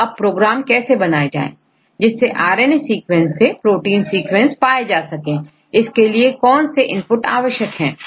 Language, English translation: Hindi, So, how to write the program to get the protein sequence in RNA sequence; what are the input necessary